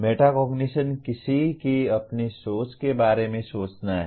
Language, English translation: Hindi, Metacognition is thinking about one’s own thinking